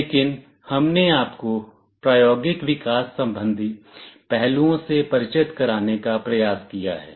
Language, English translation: Hindi, but we have tried to give you an introduction to hands on developmental aspects